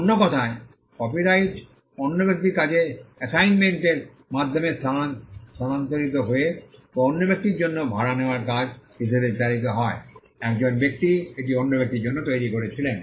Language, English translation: Bengali, In the in other words the copyright exists in another person by transmission by assignment or the work was commissioned for another person as a work for hire, a person created this for another person